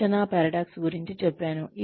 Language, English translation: Telugu, I told you about the training paradox